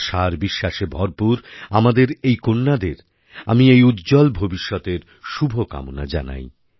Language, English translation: Bengali, I wish all these daughters, brimming with hope and trust, a very bright future